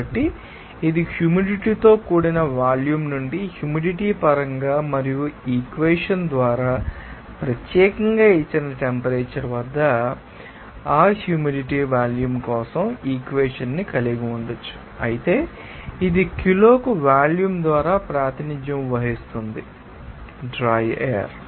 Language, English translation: Telugu, So, it is simply from this concept of humid volume, we can have this equation for that humid volume in terms of humidity and at a particular given temperature by this equation, but this will be, of course, will be represented by, you know our volume per kg of dry air